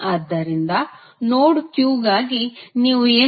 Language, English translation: Kannada, So, here what you can say for node Q